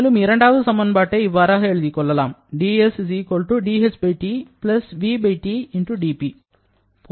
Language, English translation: Tamil, So, this is the equation that we have just written